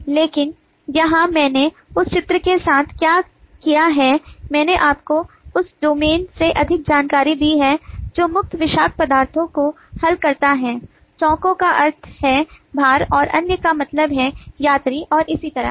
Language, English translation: Hindi, but here what i have done, along with that picture, i have given you more information from the domain that circles main toxics items, the squares mean lumbers and other means passengers and so on